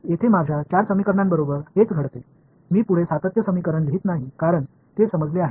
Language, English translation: Marathi, So, that is what happens to my four equations over here, I am not writing the continuity equation anymore because its understood